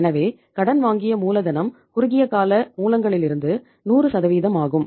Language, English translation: Tamil, So borrowed capital is 100% from the short term sources